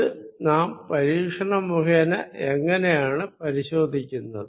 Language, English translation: Malayalam, How do we check it experimentally